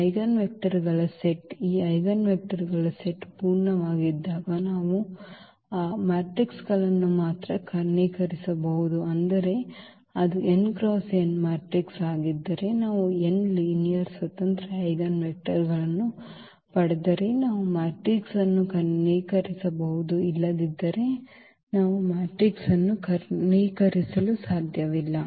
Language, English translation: Kannada, We can diagonalize only those matrices when the eigen vectors the set of this eigen vectors is full means if it is a n by n matrix then if we get n linearly independent Eigen vectors then we can diagonalize the matrix, otherwise we cannot diagonalize the matrix